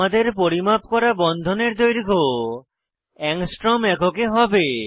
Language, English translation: Bengali, So, the bond lengths I measure, will be in Angstrom units